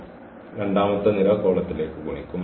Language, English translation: Malayalam, This row will be multiplied to this column